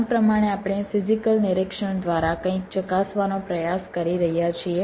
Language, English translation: Gujarati, as the name implies, we are trying to verify something through physical inspection